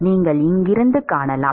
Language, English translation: Tamil, You can find from here